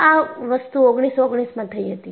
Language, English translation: Gujarati, This happened in 1919